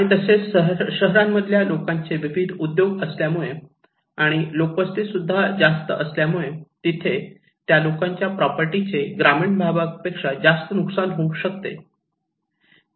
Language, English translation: Marathi, And also in a city areas where diverse occupations are there, people are also densely populated so, their property is also concentrated compared to in the villages areas